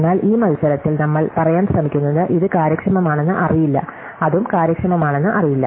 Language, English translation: Malayalam, But in this context, what we are trying to say is that this is not known to be an efficient, then this also is not known to be efficient